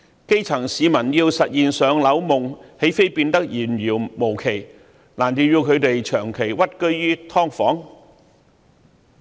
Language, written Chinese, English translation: Cantonese, 基層市民要實現"上樓夢"，豈非變得遙遙無期，難道要他們長期屈居於"劏房"？, Housing allocation will become nothing but a dream for the grass roots . Are they supposed to live in subdivided units permanently?